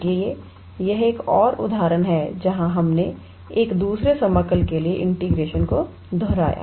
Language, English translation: Hindi, So, this is another example where we did repeated integration for a double integral